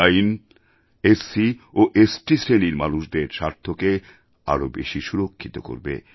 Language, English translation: Bengali, This Act will give more security to the interests of SC and ST communities